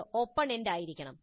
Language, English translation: Malayalam, It must be open ended